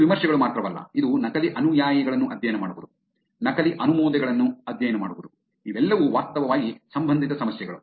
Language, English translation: Kannada, It is not only reviews, it is also about studying the fake followers, studying the fake endorsements, all of them are actually relevant problems